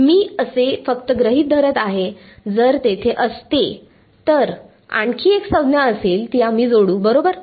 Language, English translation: Marathi, No, I am just assuming, if there was, there will be one more term we will add it right